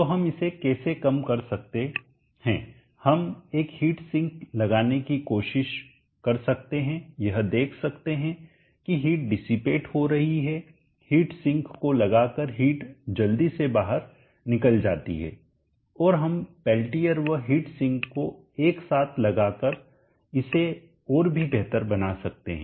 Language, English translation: Hindi, So this is what that needs to be reduced, so how do we reduce this we can try to put a heat sink see that the heat is dissipated heat flows quickly out into the ambient by putting heat sink and we could also improve that by Peltier plus heat sink combination